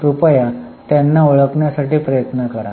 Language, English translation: Marathi, Please try to identify them